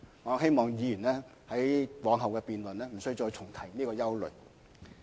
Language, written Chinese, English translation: Cantonese, 我希望議員往後辯論時，無須重提這種憂慮。, I hope Members will not repeat this point in future debates